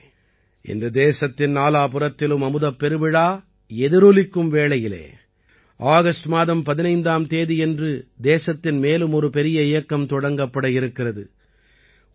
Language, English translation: Tamil, Friends, in the midst of the ongoing reverberations of Amrit Mahotsav and the 15th of August round the corner, another great campaign is on the verge of being launched in the country